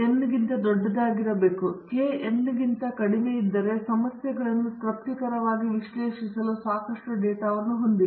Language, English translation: Kannada, Obviously, n should be greater than k, if n is less than k you donÕt have enough data to analyze problems satisfactorily